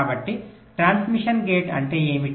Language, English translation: Telugu, so what is a transmission gate